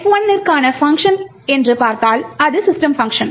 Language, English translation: Tamil, So, one function that we will look at for F1 is the function system